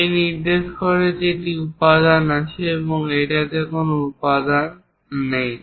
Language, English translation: Bengali, This indicates that material is there and there is no material on this side